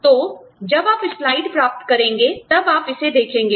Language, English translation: Hindi, So, when you get the slides, you will see this